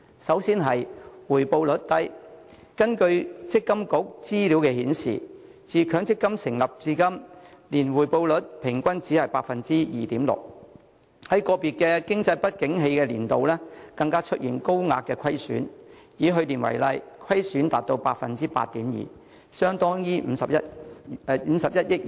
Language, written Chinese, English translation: Cantonese, 根據強制性公積金計劃管理局的資料，自強積金成立至今，年回報率平均只有 2.6%， 在個別經濟不景年度更出現高額虧損，以去年為例，虧損便達到 8.2%， 相當於51億元。, According to the information of the Mandatory Provident Schemes Authority since the establishment of the MPF System the average annual return rate is only 2.6 % and individual years of economic downturn have even seen a high rate of loss . For example last year the loss reached 8.2 % equivalent to 5.1 billion